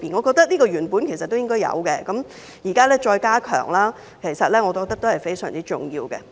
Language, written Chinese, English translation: Cantonese, 這些內容原本便應有，現在再加強，我認為是非常重要的。, I think it is very important that these supposedly existent elements are now being strengthened